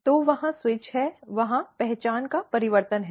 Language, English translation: Hindi, So, there is the switch there is the change of the identity